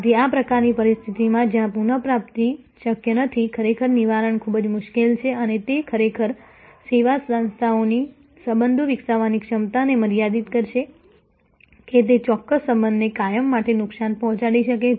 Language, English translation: Gujarati, So, in this kind of situation, where there is recovery is not possible, really the redressal is very difficult and that actually will limit the service organizations ability to develop the relationship; that it may permanently damage a particular relationship